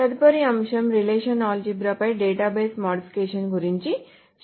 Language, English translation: Telugu, So our next topic will be database modifications on the relational algebra